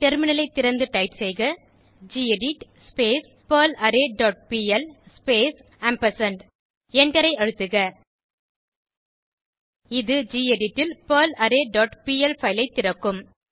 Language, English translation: Tamil, Open the terminal and type gedit perlArray dot pl space ampersand And Press Enter This will open perlArray dot pl file in gedit